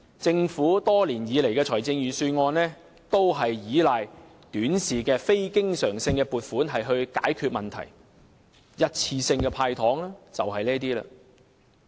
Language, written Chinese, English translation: Cantonese, 政府多年以來的預算案都是依賴短視的非經常性撥款解決問題，一次性的"派糖"便屬於這一類了。, Over the years the government budgets have allocated short - sighted and non - recurrent provisions to solve problems . The one - off measure of handing out candies is a case in point